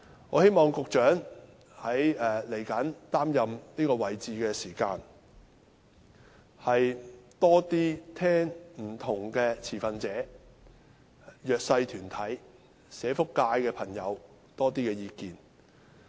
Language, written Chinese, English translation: Cantonese, 我希望局長日後擔任這職位時，能多些聆聽不同持份者、弱勢社群、社福界朋友的意見。, I hope the Secretary can listen more to the views of different stakeholders the disadvantaged and members of the social welfare sector when serving in this post in the future